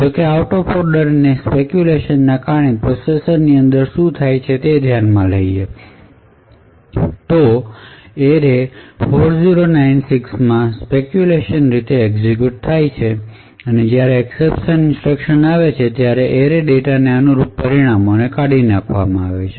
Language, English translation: Gujarati, However, due to speculation and if we consider what happens within the processor due to speculative out of order execution, the probe array at the location data into 4096 maybe speculatively executed and when the exception instruction is actually executed the results corresponding to probe array data into 4096 would be actually discarded